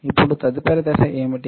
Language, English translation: Telugu, Now what is next step